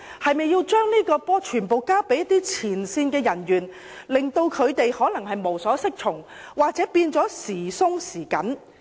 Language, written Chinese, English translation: Cantonese, 是否把這些問題全部交給前線人員處理，而可能令他們無所適從，或變成處理手法"時鬆時緊"？, Are they going to leave all these problems to their frontline staff? . Are they going to leave their frontline staff in helplessness and simply let them adopt inconsistent standards of enforcement?